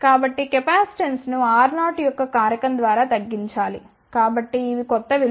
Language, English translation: Telugu, So, the capacitance should be decreased by a factor of R 0